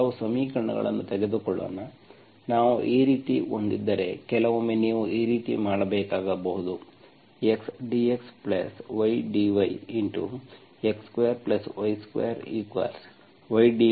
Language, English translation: Kannada, Let us pick up some equation, if we have like this, sometimes you may have to do like this, x dx plus y dx, x dx plus y dy into x square plus y square equal to y dx minus x dy